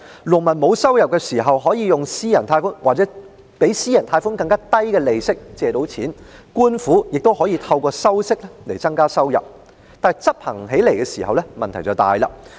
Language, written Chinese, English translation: Cantonese, 農民沒有收入時可以按私人貸款或更低於私人貸款的利息借款，而官府也可以透過收取利息來增加收入，不過，執行時卻出現很大的問題。, While peasants could borrow loans at the same interest rate or even at a lower rate charged by private loans when they had no income the government could increase income by earning interests . However serious problems had arisen in implementation